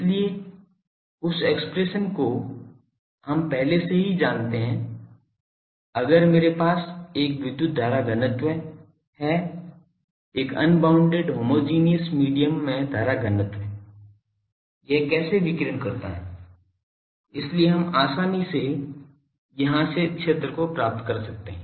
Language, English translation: Hindi, So, this expression we know already if I have a current density electric, current density in an unbounded homogeneous medium how it radiates, so we can easily find the field from here